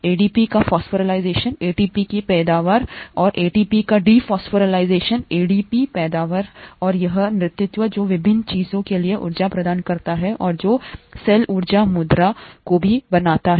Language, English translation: Hindi, Phosphorylation of ADP yields ATP, and dephosphorylation of ATP yields ADP and it is this dance that provides the energy for various things and also makes the energy currency in the cell